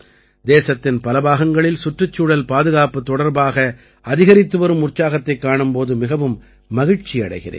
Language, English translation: Tamil, I am very happy to see the increasing enthusiasm for environmental protection in different parts of the country